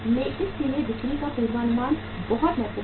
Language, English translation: Hindi, So sales forecasting is very very important